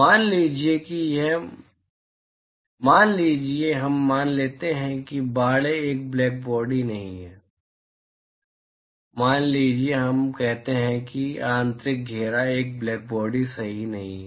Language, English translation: Hindi, Suppose we assume that suppose the enclosure is not a black body; suppose we say that the internal enclosure is not a blackbody right